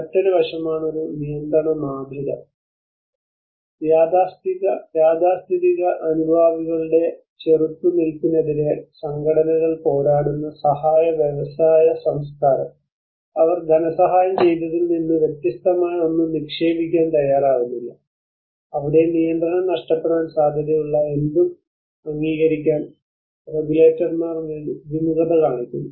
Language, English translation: Malayalam, Another aspect is a control paradigm, The aid industry culture where organizations struggle against the resistance of conservative supporters unwilling to invest in anything different from what they have funded before where regulators are reluctant to approve anything they may lose control over